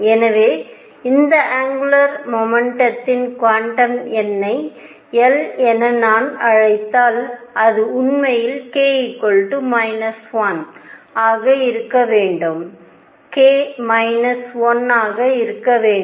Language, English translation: Tamil, So, if I call this angular momentum quantum number l, it should be actually k minus 1